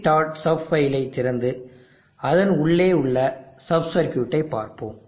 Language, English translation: Tamil, Sub file and let us have a look at the sub circuit inside it